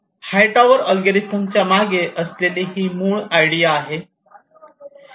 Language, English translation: Marathi, so this is the basic idea behind height ours algorithm